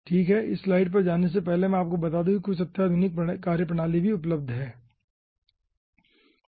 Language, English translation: Hindi, okay, before going to this, this slide, let me tell you that some advanced methodologies are also available